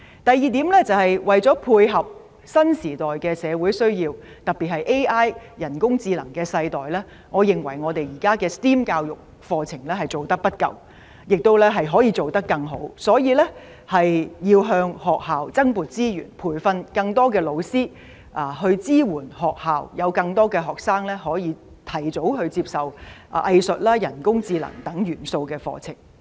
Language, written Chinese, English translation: Cantonese, 第二點，為配合新時代的社會需要，特別是 AI 的世代，我認為我們現在的 STEM 教育課程做得不夠，可以做得更好，所以建議向學校增撥資源，以培訓老師及支援學校，讓更多學生可以提早接受包含藝術、人工智能等元素的課程。, Second as far as meeting the needs of the new era particularly the era of artificial intelligence AI is concerned I think we have not done enough in STEM education and we can do better . Thus I propose to allocate additional resources to schools for training teachers and supporting schools so that more students can receive education with the inclusion of elements such as arts and AI sooner